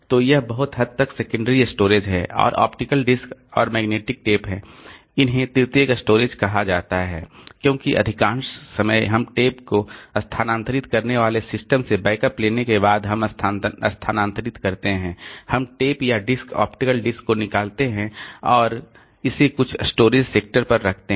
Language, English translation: Hindi, Now on top of this flash so up to this much is the secondary storage and this optical disk and magnetic tape they are called tertiary storage because most of the time after taking the backup from the system we move the takes we move we take out the tape or disc optical disk it on some storage area